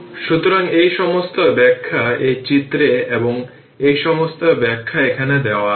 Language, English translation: Bengali, So, all this explanation is this is the diagram and all this explanation is here